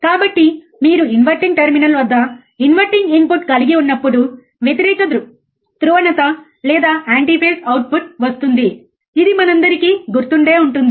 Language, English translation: Telugu, So, opposite polarity or anti phase output when you have inverting input at the inverting terminal, right this we all remember